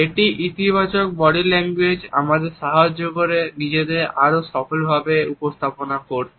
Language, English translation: Bengali, A positive body language helps us in projecting ourselves in a more successful manner